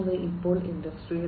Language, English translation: Malayalam, So, Industry 4